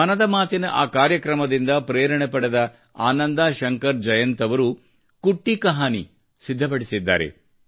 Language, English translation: Kannada, Inspired by that program of 'Mann Ki Baat', Ananda Shankar Jayant has prepared 'Kutti Kahani'